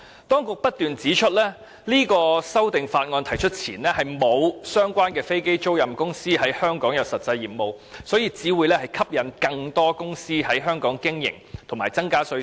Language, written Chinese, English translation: Cantonese, 當局不斷指出，在提出這項《條例草案》前，並沒有相關的飛機租賃公司在香港擁有實際業務，故《條例草案》如落實推行，會吸引更多公司在香港經營，以及增加稅收。, The authorities have pointed out time and again that before the introduction of this Bill no relevant aircraft leasing companies had operated any substantive business in Hong Kong . Thus the implementation of the Bill may attract more companies to operate in Hong Kong and thereby increase the tax revenue